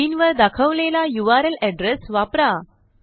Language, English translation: Marathi, Use the url address shown on the screen